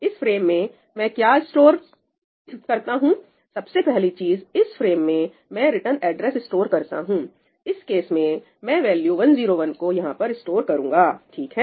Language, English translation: Hindi, what do I store in this frame the first thing I store is the return address; in this case, I will store the value 101 over here